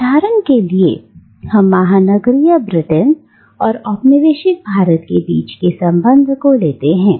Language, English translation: Hindi, And let us take for instance the relation between the metropolitan Britain and the colonised India